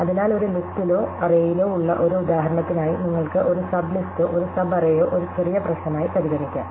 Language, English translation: Malayalam, So, for example in a list or an array, you can consider a sub list or a sub array as a smaller problem